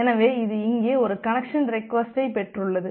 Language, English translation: Tamil, So, it has received one connection request here